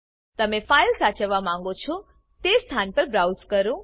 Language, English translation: Gujarati, Browse the location where you want to save the file